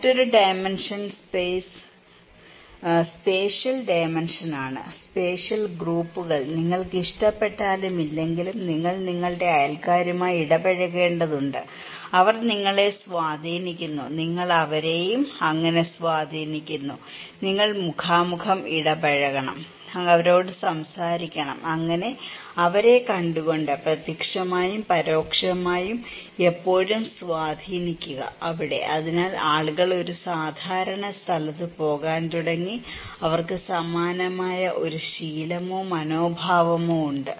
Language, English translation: Malayalam, Another dimension is the spatial dimension; spatial groups, you like or not like, you need to interact with your neighbours and they influencing you, you are also influencing them so, you need to you are interacting face to face, talking to them watching them so, direct and indirect influence always there, so people started to leave in one common place also, they have a similar kind of habit or attitude